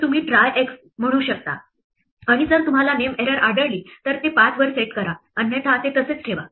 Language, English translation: Marathi, So, you can say try x and if you happened to find a name error set it to 5 otherwise leave it untouched